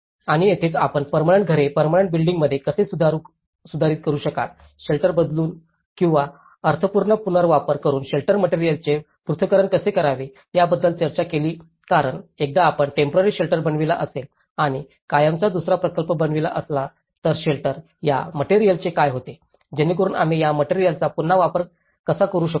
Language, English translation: Marathi, And this is where they talked about how we can incrementally upgrade the temporary structures to the permanent houses, relocation of shelters or disassembly of shelter materials with meaningful reuse so because once if you are making a temporary shelters and if you are making another project of permanent shelters, what happens to this material, so how we can reuse this material